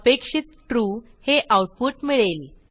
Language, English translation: Marathi, the output is True as expected